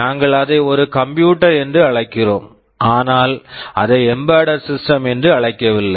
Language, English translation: Tamil, We call it a computer, we do not call it an embedded system